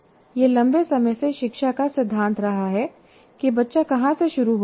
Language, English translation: Hindi, It has long been a tenet of education to start where the child is